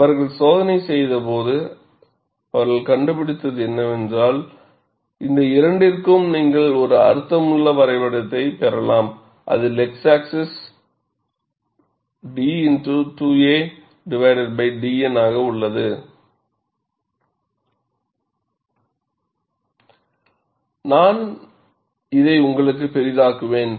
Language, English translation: Tamil, So, when they performed the test, what they found was, for both of these, you could get a meaningful graph, wherein, the x axis is d 2 a by d N